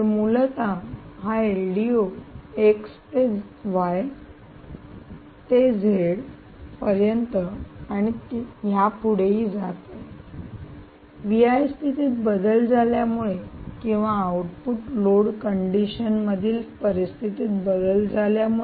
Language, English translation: Marathi, so essentially, this l d o is moving from x to y to z and so on and so forth, based on either change in v in or change in any conditions at the output due to change in the output load condition